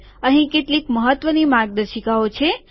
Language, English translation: Gujarati, There are some important guidelines